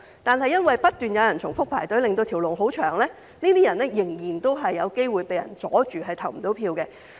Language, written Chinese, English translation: Cantonese, 如果因為有人不斷重複排隊，令輪候隊伍甚長，這些人仍然有機會可能被人阻礙而無法投票。, It is still possible that such people may be obstructed from voting if some other people keep queuing up repeatedly making the queue excessively long